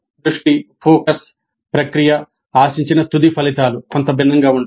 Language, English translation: Telugu, The focus, the process, the end results expected are somewhat different